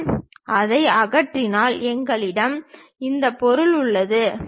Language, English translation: Tamil, If I remove that, we have this material, material is there